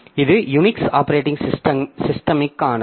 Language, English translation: Tamil, This is an example from the Unix operating system